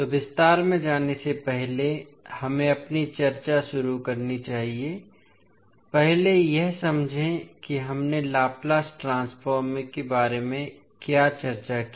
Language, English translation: Hindi, So, let us start our discussion before going into the detail lets first understand what we discussed when we were discussing about the Laplace transform